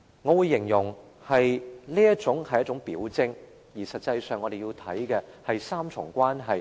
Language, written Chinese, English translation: Cantonese, 我會形容這是一種表徵，而實際上，我們要看的是3重關係。, I will describe this as a symptom . In fact what we need to look at is a tripartite relationship